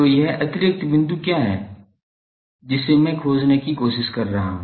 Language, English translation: Hindi, So, what is this extra point, that I am trying to find